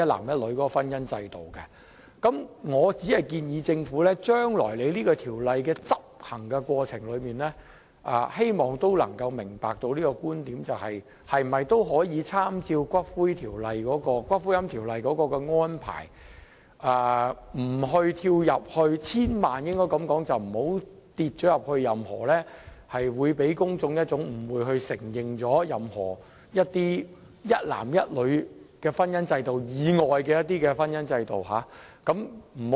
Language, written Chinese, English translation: Cantonese, 我只是向政府提出建議，希望政府將來在執行這項《條例草案》時，也能夠明白這觀點，參照《私營骨灰安置所條例草案》的做法，千萬不要讓市民誤會政府是承認任何一男一女婚姻制度以外的婚姻制度。, I am only putting forward a proposal to the Government . And I hope that when the Government enacts the Bill in future it should also understand my view in this regards by taking reference to the approach under the Private Columbaria Bill . The Government should not make the public misunderstand that the Government is going to acknowledge any matrimonial regime other than the regime which is contracted between a man and a woman